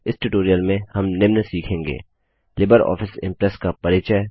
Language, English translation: Hindi, Welcome to the tutorial on Introduction to LibreOffice Impress